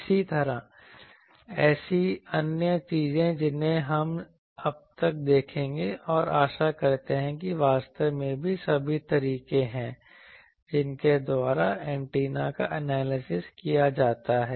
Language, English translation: Hindi, Similarly, other such things we will see and hope by now actually all the methods by which the analysis of antenna is done we have almost covered